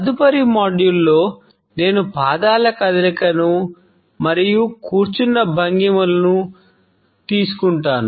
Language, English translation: Telugu, In the next module, I would take up the movement of the feet and sitting postures